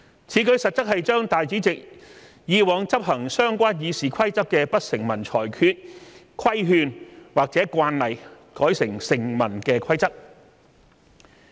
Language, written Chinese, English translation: Cantonese, 此舉實質上是把主席以往執行相關《議事規則》的不成文裁決、規勸或慣例改為成文的規則。, Practically this amendment is to turn the Presidents implicit rulings admonitions or conventions during the past enforcement of RoP into statutory rules